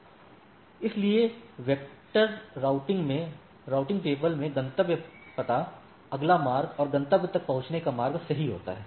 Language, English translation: Hindi, So, in path vector routing, routing table contains destination address, next route and the path to reach the destination, right